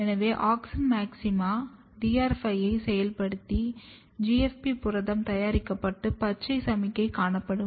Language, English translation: Tamil, So, wherever there will be auxin maxima DR5 will get activated and hence GFP protein will be made and a green signal will be observed